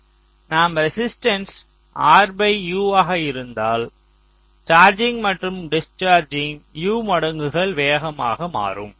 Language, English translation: Tamil, if i can made resistance as r by u charging, discharging will become u time faster